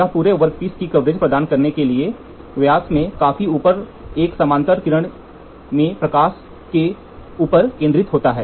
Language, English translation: Hindi, So, what it does is which gets all focused on top the light into a parallel beam large enough in the diameter to provide the coverage of the entire workpiece